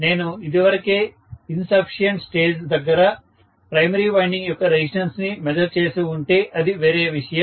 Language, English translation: Telugu, If I had measured the resistance already of the primary winding right at the insufficient stage, then it is different